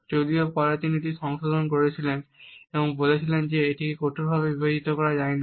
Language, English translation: Bengali, Even though he has later on modified it and said that it cannot be rigidly compartmentalized as it is